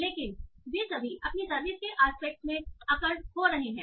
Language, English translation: Hindi, But they are all occurring in the aspect of service